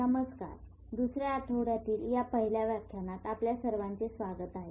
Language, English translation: Marathi, Hello and welcome to this first lecture of second week